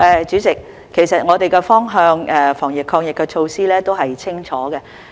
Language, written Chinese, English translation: Cantonese, 主席，我們的防疫抗疫方向和措施都是清晰的。, President our direction and measures in fighting the epidemic are clear